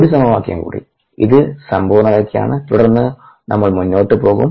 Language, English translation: Malayalam, one more equation, this were completeness, and then we will go forward